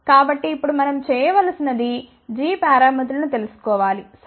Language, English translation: Telugu, So now what we need to do we need to find out the g parameters, ok